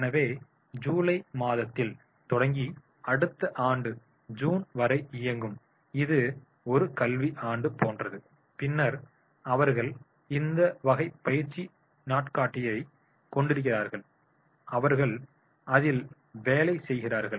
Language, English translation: Tamil, So, starting in July and running until June next year, it is just like an academic year then they are having this type of the training calendar and their work on it